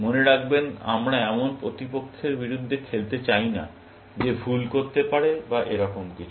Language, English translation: Bengali, We do not want to play against an opponent, who can make mistakes, and things like that